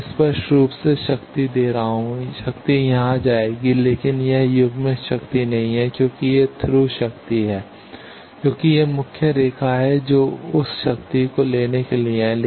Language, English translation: Hindi, I am giving power obviously, power will go here, but this is not coupled power this is through power because this is the main line this is main for taking that power